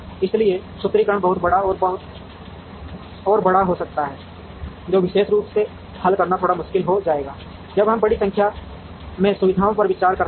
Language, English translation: Hindi, So, the formulation can become extremely big and large, which would be would become a little difficult to solve particularly, when we are considering a large number of facilities